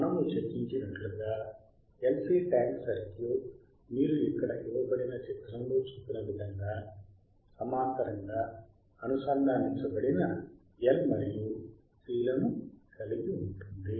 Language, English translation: Telugu, ASo, as we have discussed, LC tankends circuit consistss of L and C connected in parallel as shown in figure you can see here right